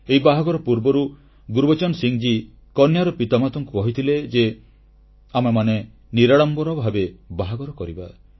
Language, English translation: Odia, Gurbachan Singh ji had told the bride's parents that the marriage would be performed in a solemn manner